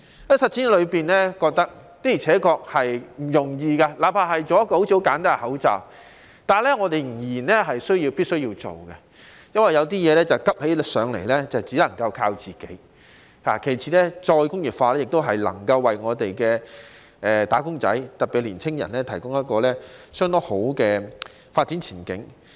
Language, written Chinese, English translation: Cantonese, 在實踐之中，發覺的確不容易，即使只是製造一個看似十分簡單的口罩，但我們仍然必須做，因為有些事情急起來只能靠自己，其次是再工業化能夠為"打工仔"提供相當好的發展前景。, During the implementation we realized that it was by no means easy . Even though it was just the production of a mask which looked very simple we still had to do it because in times of emergencies we could only rely on ourselves . Moreover re - industrialization could provide wage earners especially young people with pretty good development prospects